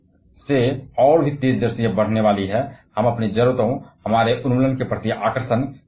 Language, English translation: Hindi, We are depending on heavier machineries for solving every day to day needs of ours, our fascination towards elimination